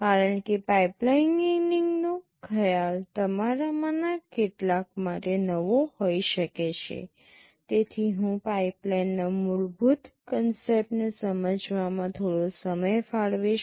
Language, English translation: Gujarati, Because the concept of pipelining may be new to some of you, I shall be devoting some time in explaining the basic concept of pipeline